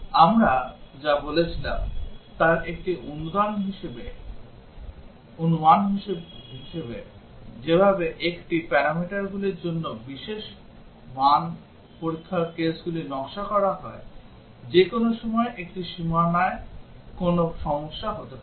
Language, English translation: Bengali, One assumption in what we said the way design the special value test cases for multiple parameters that at anytime one boundary can have a problem